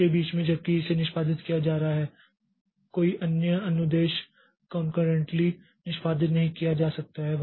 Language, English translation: Hindi, That is while it is being executed, no other instruction can be executed concurrently